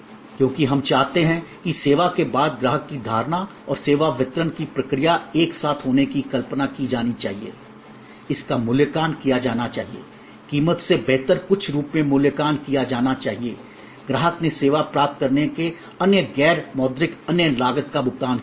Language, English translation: Hindi, Because, we want that the customer perception after service and the service delivery process together must be conceived, must be perceived, must be evaluated as something better than the price, the customer has paid and the different non monitory other cost of acquiring the service